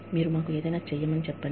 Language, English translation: Telugu, You tell us, to do something